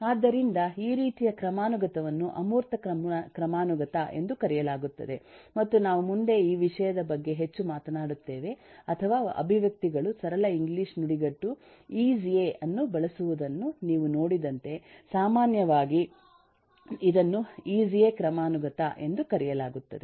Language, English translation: Kannada, so this kind of a hierarchy, of which we will talk lot more as we go along, is known as an abstraction hierarchy or, as you have seen that expressions use the simple English phrase of is a, so commonly it is called a is a hierarchy